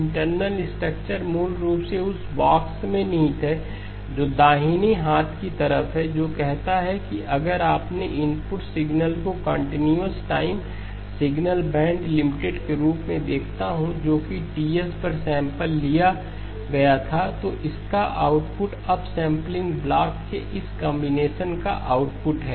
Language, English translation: Hindi, The underlying framework basically lies in the box that is on the right hand side which says that if I view my input signal as a continuous time signal band limited which was sampled at Ts, the output of this combination of the upsampling block